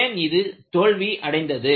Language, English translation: Tamil, Why it failed